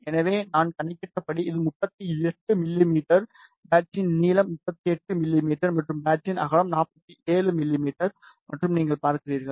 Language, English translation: Tamil, So, as I calculated this is 38 mm, the length of the patch is 38 mm, and width of the patch is 47 mm and to see